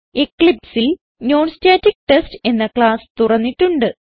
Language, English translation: Malayalam, I have already opened a class named NonStaticTest in Eclipse